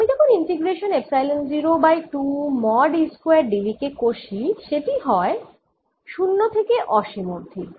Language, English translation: Bengali, now, when i do the integration epsilon zero over two mod e square d v now it'll be from zero to infinity